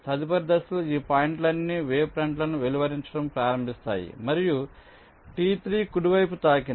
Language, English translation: Telugu, in the next step, all these points will start wavepoints and t three will be touched right